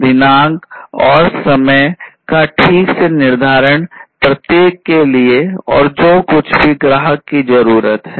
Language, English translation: Hindi, Scheduling the date and time properly for each, and everything whatever the customer needs